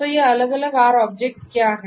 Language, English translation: Hindi, So, what are these different R objects